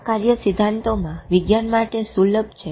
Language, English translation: Gujarati, These functions are in principle accessible to science